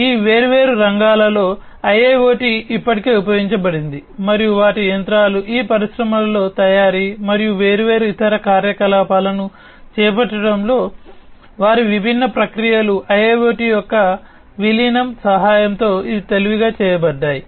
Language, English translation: Telugu, So, in all of these different sectors IIoT has been already used and their machinery, their different processes in manufacturing and carrying on different other activities in these industries these have been made smarter with the help of incorporation of IIoT